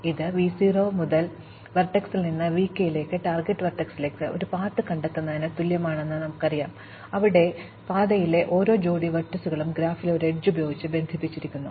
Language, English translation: Malayalam, And we said that this amounts to finding a path from v 0 the source vertex to v k the target vertex, where each pair of vertices on the path is connected by an edge in the graph